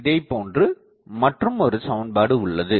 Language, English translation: Tamil, Now, the point is this equation does not have a solution